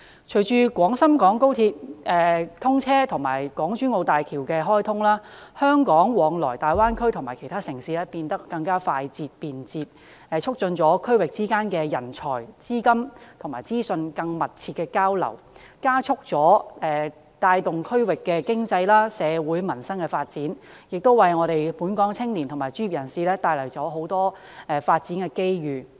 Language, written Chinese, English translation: Cantonese, 隨着廣深港高鐵通車及港珠澳大橋開通，香港往來大灣區其他城市變得更為快捷方便，促進區域之間在人才、資金及資訊更密切的交流，加速帶動區域經濟、社會及民生發展，亦為本港青年及專業人士帶來更多發展機遇。, Following the commissioning of the Guangzhou - Shenzhen - Hong Kong Express Rail Link and the Hong Kong - Zhuhai - Macao Bridge travelling between Hong Kong and other cities in the Greater Bay Area becomes more speedy and convenient . This helps to bring about closer exchanges of talents funding and information among regions thus boosting regional development in the economy society and the livelihood of people and bringing more development opportunities for the young people and professionals of Hong Kong